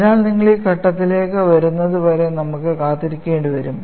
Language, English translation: Malayalam, So, we will have to wait until you come to that stage; that is needed